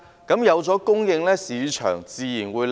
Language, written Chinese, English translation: Cantonese, 只要有供應，市場租金自然會回落。, So long as there is supply the market rent will naturally fall